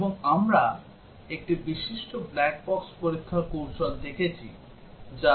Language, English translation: Bengali, And we looked at a prominent black box testing strategy which is equivalence class partitioning